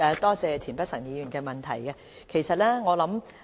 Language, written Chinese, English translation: Cantonese, 多謝田北辰議員提出的補充質詢。, I thank Mr Michael TIEN for his supplementary question